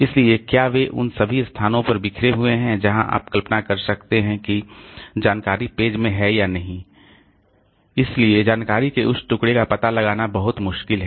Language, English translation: Hindi, So, have they been scattered over all the places you can imagine even if the information is there, you know the page containing the information is there so it is very difficult to locate that piece of information